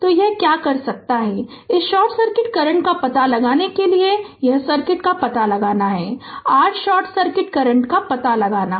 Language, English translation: Hindi, So, so what you can do is that to find out this short circuit current, this is the circuit you have to find out you have to find out, your short circuit current